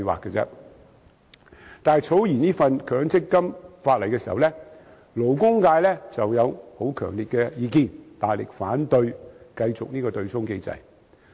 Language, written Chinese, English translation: Cantonese, 不過，草擬強積金法例時，勞工界曾提出十分強烈的意見，大力反對繼續此對沖機制。, Nevertheless during the drafting of the MPF legislation the labour sector expressed very strong views and vigorously opposed the continuation of this offsetting mechanism